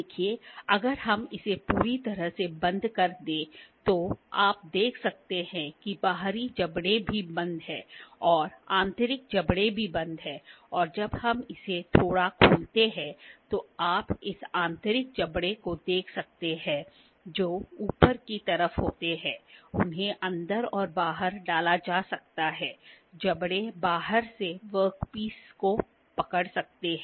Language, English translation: Hindi, See if we close it completely you can see the external jaws are also closed and internal jaws are also closed and when we open it a little, you can see this internal jaws which are on the upper side, they can be inserted inside and the external jaws are can be can hold the work piece from the outside